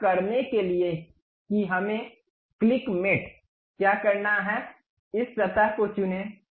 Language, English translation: Hindi, To do that what we have to do click mate, pick this surface